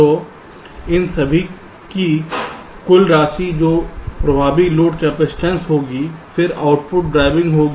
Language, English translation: Hindi, so sum total of all of these that will be the effective load capacitance